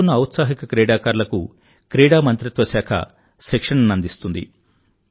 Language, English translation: Telugu, The Ministry of Sports will impart training to selected emerging players